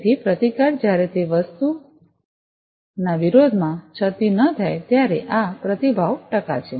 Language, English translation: Gujarati, So, resistance when it is not exposed verses this thing that is the response percent